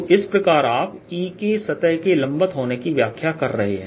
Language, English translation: Hindi, so finally, you interpreting e becoming perpendicular to the surface